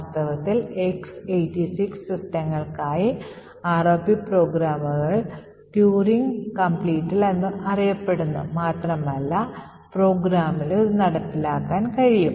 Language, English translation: Malayalam, In fact, for X86 systems the ROP programs are said to be Turing complete and can implement just about any program